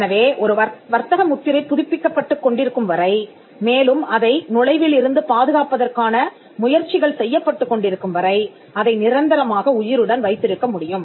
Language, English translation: Tamil, So, a trademark can be kept alive in perpetuity as long as it is renewed, and as long as efforts to protect it from entrainment are also done